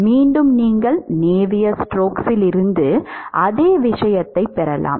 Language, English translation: Tamil, Again you can get the same thing from navier stoke